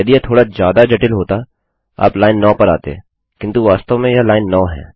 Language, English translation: Hindi, If it were a bit more complex, you came to line 9, but this is in fact line 9